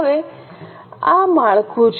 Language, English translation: Gujarati, Now this is the structure